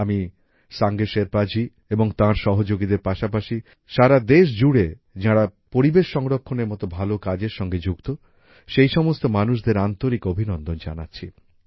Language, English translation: Bengali, Along with Sange Sherpa ji and his colleagues, I also heartily appreciate the people engaged in the noble effort of environmental protection across the country